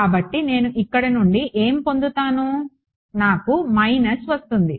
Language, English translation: Telugu, So, what will I get from here I will get a minus